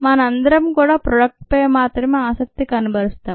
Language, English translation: Telugu, we all are interested only in the product